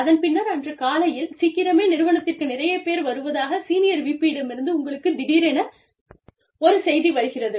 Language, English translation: Tamil, And, then suddenly, you get a note or a memo, from the Senior VP, who says, too many people are coming to office, very early in the morning